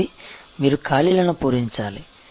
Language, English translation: Telugu, So, you simply have to fill in the blanks